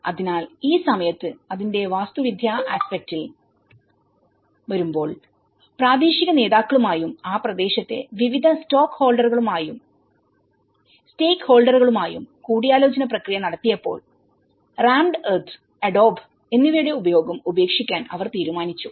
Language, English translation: Malayalam, So, at this point of time, when it comes from the architectural aspect of it, so, with all the consultation process with the local leaders and various stakeholders within that region, so they have decided to discard the use of rammed earth and adobe